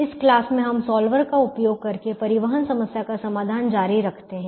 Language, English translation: Hindi, we continue the solution of the transportation problem using the solver